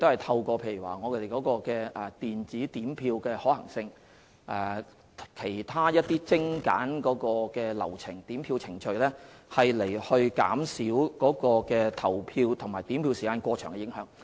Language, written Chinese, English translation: Cantonese, 此外，我們會研究電子點票的可行性和是否有空間精簡點票程序，以期減少投票和點票時間過長的影響。, In addition we will study the feasibility of electronic counting of votes and whether there is room for streamlining the counting procedure with a view to reducing the impacts of the polling hours and counting time being unduly long